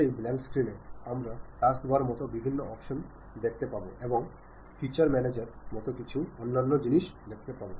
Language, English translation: Bengali, In that blank screen, we see variety of options like taskbar, and something like feature feature manager and the other things